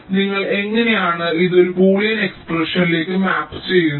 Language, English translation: Malayalam, so how you you do it map this into a boolean expression